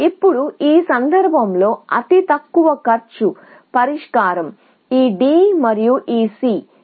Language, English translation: Telugu, Now, in this case, the least cost solution is this D and this C